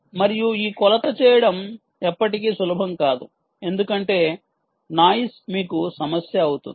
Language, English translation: Telugu, ok, and its never going to be easy to do this measurement because noise is going to be a problem for you